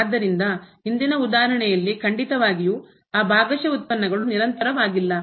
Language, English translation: Kannada, So, in the previous example definitely those partial derivatives were not equal